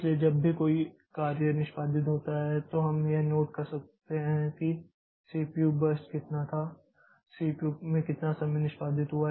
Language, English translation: Hindi, So, whenever a job is executing so we note down how much was the CPU burst how much time it executed in the CPU